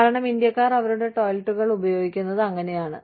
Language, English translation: Malayalam, Because, that is the way, Indians are used to, using their toilets